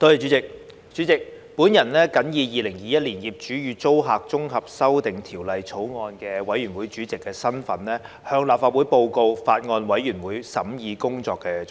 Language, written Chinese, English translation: Cantonese, 代理主席，我謹以《2021年業主與租客條例草案》委員會主席的身份，向立法會報告法案委員會審議工作的重點。, Deputy President in my capacity as Chairman of the Bills Committee on Landlord and Tenant Amendment Bill 2021 I now report to the Legislative Council on the main deliberations of the Bills Committee